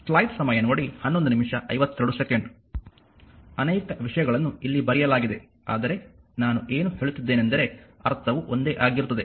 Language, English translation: Kannada, So many things are written here, but whatever I am telling meaning is same right